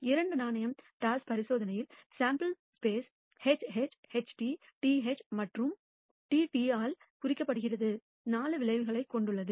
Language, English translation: Tamil, In the two coin toss experiment the sample space consists of 4 outcomes denoted by HH, HT, TH and TT